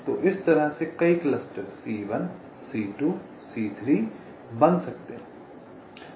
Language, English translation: Hindi, so in this way, several clusters can be formed right: c one, c two, c, three